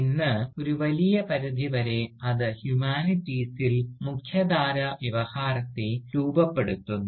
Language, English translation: Malayalam, And, today, to a large extent, it shapes the mainstream discourse within humanities